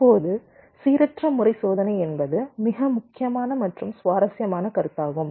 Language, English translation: Tamil, ok, random pattern testing is a very, very important and interesting concept